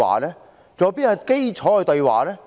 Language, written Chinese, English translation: Cantonese, 還有甚麼基礎對話？, On what basis can dialogues be opened?